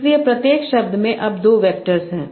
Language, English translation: Hindi, So every word has now two vectors